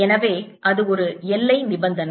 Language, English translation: Tamil, so that's one boundary condition